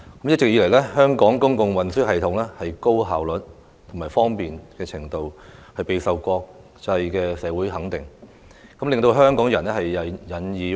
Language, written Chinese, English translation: Cantonese, 一直以來，香港公共運輸系統既方便又效率高，備受國際社會肯定，令香港人引以自豪。, of SCL . All along the public transport system in Hong Kong has been convenient and highly efficient . Commanding international recognition it is something in which Hongkongers take pride